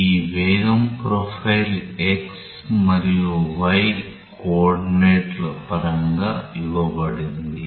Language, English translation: Telugu, And let us say this velocity profile is given in terms of the x and y coordinates